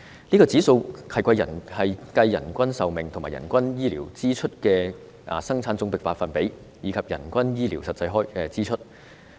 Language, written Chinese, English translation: Cantonese, 這指數是計算人均壽命及人均醫療支出佔生產總值的百分比，以及人均醫療實際支出。, This index calculates an efficiency score based on the average life expectancy and average health care expenditures as a percentage to gross domestic product and the average actual health care expenditure